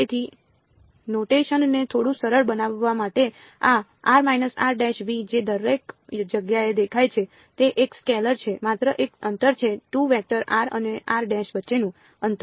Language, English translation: Gujarati, So, just to make the notation a little bit easier this r minus r prime that appears everywhere it is a scalar is just a distance is the distance between 2 vectors r and r prime